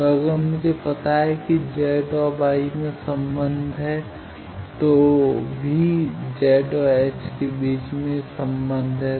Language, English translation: Hindi, So, if I know Z I can go to Y also there are relations between Z and H